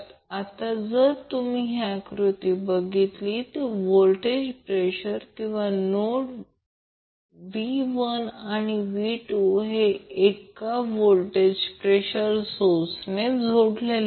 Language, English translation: Marathi, Now if you see this particular figure, the voltage or node, V 1 and V 2 are connected through 1 voltage source